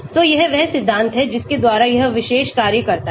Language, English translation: Hindi, so this is the principle by which this particular thing works